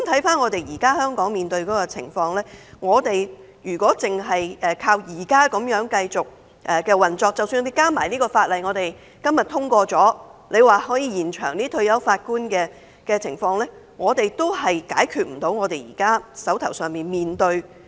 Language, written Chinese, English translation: Cantonese, 反觀現時香港面對的情況，如果單靠現有機制繼續運作，即使加上今天可能獲通過的《條例草案》而延展法官的退休年齡，我們仍然未能處理現時手上的個案。, Yet in view of the present situation in Hong Kong the continual operation of the existing system solely even if the extension of the retirement age for Judges under the Bill were passed today would not be able to cope with the cases now in hand